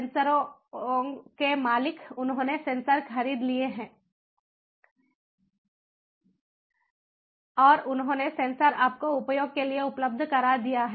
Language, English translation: Hindi, they own the sensors, they have purchased the sensors and they have made the sensors available for ah, you know, for use